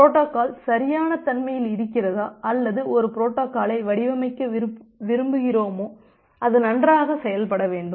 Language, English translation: Tamil, That whether we will go for the protocol correctness or we want to design a protocol which will perform good